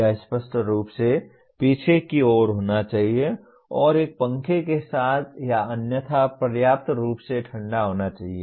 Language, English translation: Hindi, It should obviously be at the back and adequately cooled with a fan or otherwise